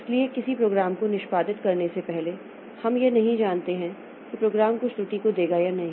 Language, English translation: Hindi, Like when a program is under execution, so before a program executes so we do not know whether the program will give rise to some error or not